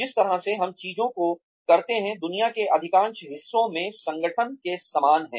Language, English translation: Hindi, The way, we do things, is very similar in organizations, in most parts of the world